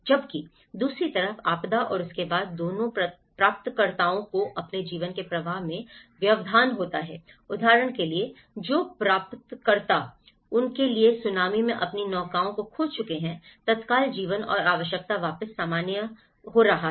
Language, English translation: Hindi, Whereas, the recipients on the other hand both the disaster and its aftermath are disruptions in the flow of their lives, for instance, the recipients who have lost their boats in the tsunami for them, the immediate life and need is getting back to the normal, is getting back to their livelihood